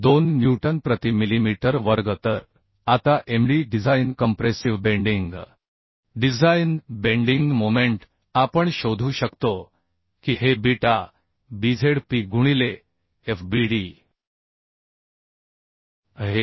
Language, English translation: Marathi, 2 newton per millimeter square So now Md the design compressive uhh design bending moment we can find out This is beta b Zp into Fbd so that is 1 into 554